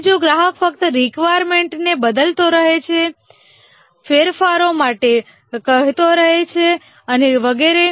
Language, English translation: Gujarati, Now what if the customer just keeps changing the requirements, keeps on asking for modifications and so on